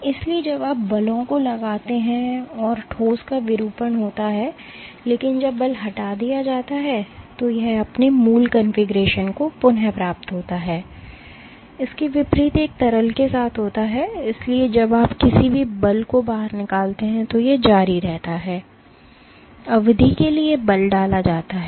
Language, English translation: Hindi, So, when there is a deformation there is a, when you exert forces there is a deformation of the solid, but when the force is removed it regains its original configuration, contrast that with a liquid, so, when you exert any force it continues to deform, for the duration the force is exerted